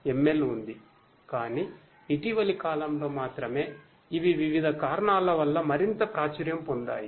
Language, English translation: Telugu, ML has been there, but in the only in the recent times these have become more and more popular due to a variety of reasons